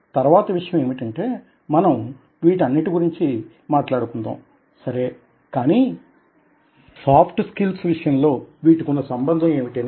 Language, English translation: Telugu, and the next point is that, if you are talking about all these things, how are they relevant in the context of soft skills